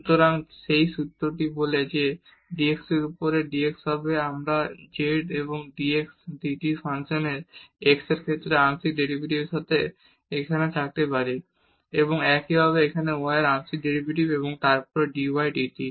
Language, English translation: Bengali, So, that formula says that dx over dt will be the we can have here with partial derivative with respect to x of the function z and dx dt and similarly here the partial derivative of y and then dy dt